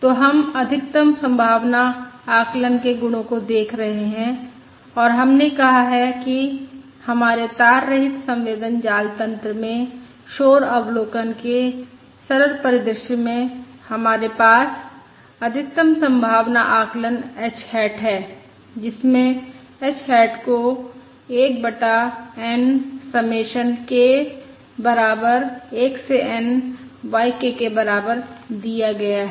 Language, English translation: Hindi, So we are looking at the properties of maximum likelihood estimate and we have said that in our simple, in our simple scenario of noisy observation, in our wireless sensor network, we have the maximum likelihood estimate h hat, which is given as: h hat equals 1 over n submission, k equals 1 to n y of k